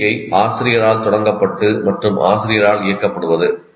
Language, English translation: Tamil, So, rehearsal itself is teacher initiated and teacher directed